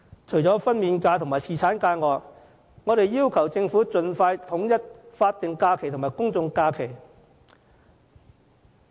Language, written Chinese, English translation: Cantonese, 除了分娩假與侍產假，我們要求政府盡快統一法定假期及公眾假期。, Apart from maternity leave and paternity leave we call on the Government to align the numbers of statutory holidays and public holidays